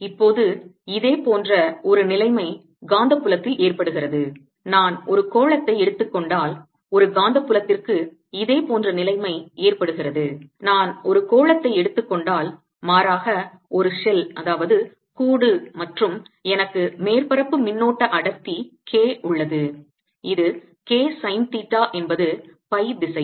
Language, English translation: Tamil, so for a magnetic field a similar situation occurs if i take a sphere, rather a shell, and have a surface current density k on it, which is k sine theta in the phi direction